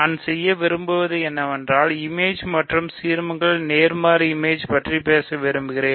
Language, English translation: Tamil, So, what I want to do is, I want to talk about images and inverse images of ideals